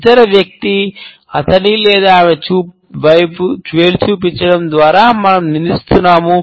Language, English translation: Telugu, It means that we are accusing the other person by pointing the finger at him or her